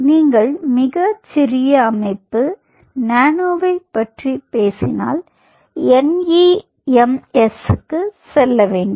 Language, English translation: Tamil, if you talk about much more smaller system, nano, then you have to go to nems, nano electromechanical systems